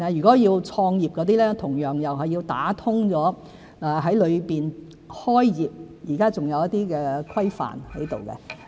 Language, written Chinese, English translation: Cantonese, 至於創業人士，同樣需要打通脈絡，因為現時在大灣區開業仍有一些規範。, Similarly pathways need to be opened up for entrepreneurs as there are still some regulations need to be met in starting a business in GBA